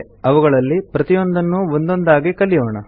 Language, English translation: Kannada, We will learn about each one of them one by one